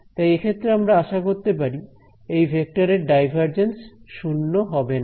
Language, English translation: Bengali, So, we intuitively expect that the divergence of this vector will be non zero